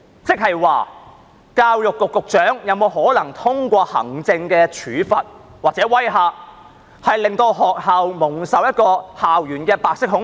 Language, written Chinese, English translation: Cantonese, 即是說，教育局局長是否有可能通過行政處罰或威嚇，令學校蒙受白色恐怖？, That is to say is it possible that the Secretary for Education will put schools under white terror through administrative penalties or intimidation?